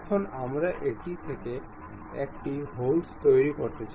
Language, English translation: Bengali, Now, we would like to make a hole out of that